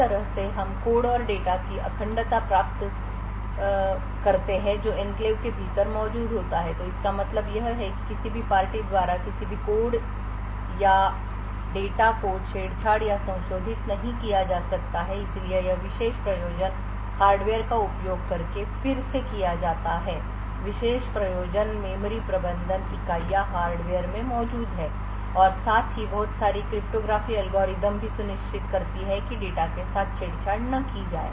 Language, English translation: Hindi, In a similar way we also achieve integrity of the code and data that is present within the enclave so what we mean by this is that any code and data cannot be tampered or modified by an external party so this is typically done again using special purpose hardware, special purpose memory management units present in the hardware as well as a lot of cryptography algorithms so ensure that the data is not tampered with